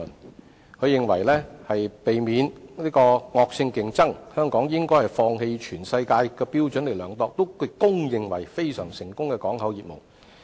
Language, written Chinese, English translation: Cantonese, 譚局長認為為了避免惡性競爭，香港應放棄按世界標準獲公認為非常成功的港口業務。, Secretary Raymond TAM considers that to avoid vicious competition Hong Kong should give up its port services industry which is regarded as extremely successful by world standard